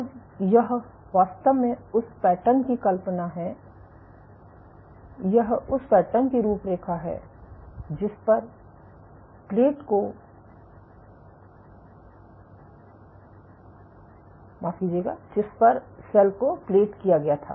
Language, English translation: Hindi, So, this is actually the pattern imagine that this is the outline of the pattern on which the cell was platted